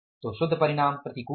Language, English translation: Hindi, So, the net result is the adverse